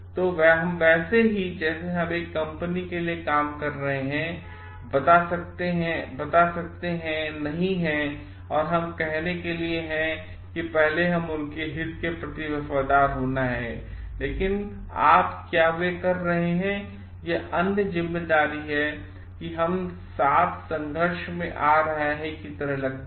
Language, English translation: Hindi, So, we just cannot tell like we are working for a company and we have to be loyal to their interest first, but if you find like what they are doing is coming in conflict with this other responsibility that we have